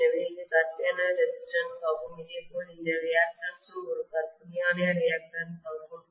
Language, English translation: Tamil, So this is the fictitious resistance and similarly this reactance is also a fictitious reactance